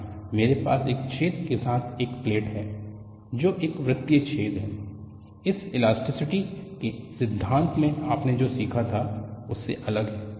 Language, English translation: Hindi, Here,I have a plate with the hole which is a circular hole; this is different from what you had learned from theory of elasticity